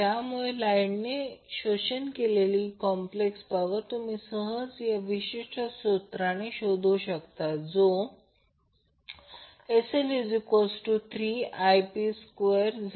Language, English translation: Marathi, So complex power absorbed by the load, you can simply calculate by this particular formula That is 3 times I square into Zp